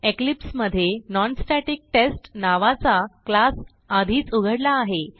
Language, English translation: Marathi, I have already opened a class named NonStaticTest in Eclipse